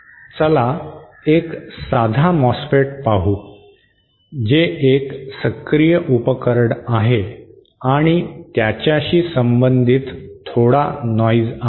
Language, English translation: Marathi, Let us see a simple MOSFET which is an active device and has some noise associated with it